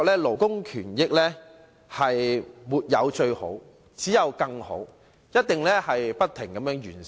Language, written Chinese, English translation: Cantonese, 勞工權益，沒有最好，只有更好，須不停完善。, When it comes to labour rights and interests better is better than best and we need to seek improvements constantly